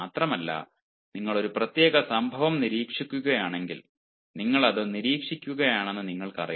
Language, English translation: Malayalam, moreover, if you are observing a particular incident, you know you are observing it only